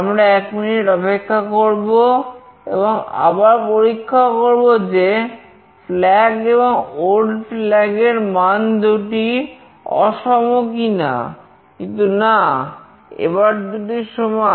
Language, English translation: Bengali, We wait for one minute, and again check flag not equal to old flag value, but no both are same